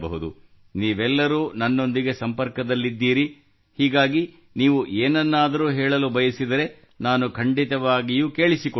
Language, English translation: Kannada, All of you are connected with me, so if you want to say something, I will definitely listen